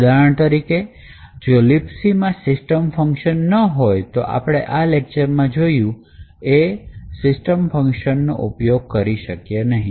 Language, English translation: Gujarati, For example, if the LibC does not have a system function, then the attack which we have discussed in this particular lecture will not function